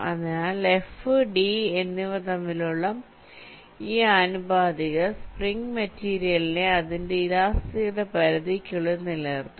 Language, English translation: Malayalam, so this proportionality between f and d, this will hold for this spring material within limits of its elasticity